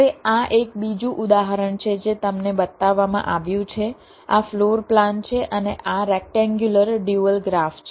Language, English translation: Gujarati, you are shown this, a floor plan, and this is the rectangular dual graph